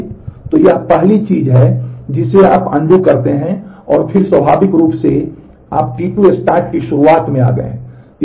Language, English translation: Hindi, So, this is the first thing you undo and then naturally you have come to the beginning of T 2 start